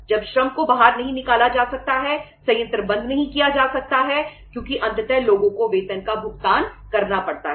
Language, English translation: Hindi, When the labour cannot be thrown out plant cannot be shut because ultimately have to pay the salaries to the people